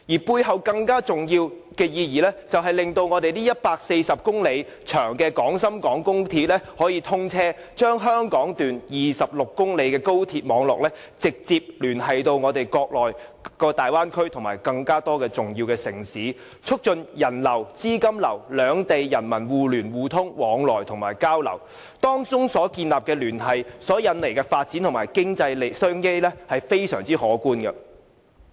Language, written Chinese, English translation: Cantonese, 背後更重要的意義，就是令140公里長的廣深港高鐵可以通車，將香港段26公里的高鐵網絡直接聯繫國內大灣區及更多重要城市，促進資金流、物流及兩地人民互聯互通及相互交流，當中所建立的聯繫及引來的發展和經濟商機是非常可觀的。, A more important purpose of the Bill is to enable the commissioning of the 140 km XRL connecting the 26 km Hong Kong Section directly to the transport network in the Bay Area and other important cities in the Mainland . It will facilitate the capital flow and logistics among different cities as well as the interconnection and exchanges between people of the two places . The economic development and business opportunities established will be rather impressive